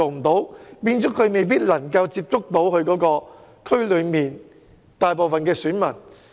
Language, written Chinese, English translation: Cantonese, 這樣，候選人未必能夠接觸其選區內的大部分選民。, As such some candidates might not be able to reach out to the majority of electors